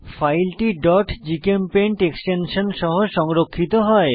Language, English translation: Bengali, File is saved with .gchempaint extension